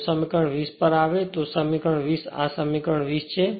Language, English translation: Gujarati, Even if you come to equation 20, your equation 20 this is equation 20